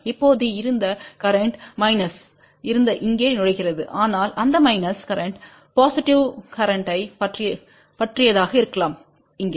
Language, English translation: Tamil, Now, the current which was entering here which was minus, but that minus current can be thing about positive current over here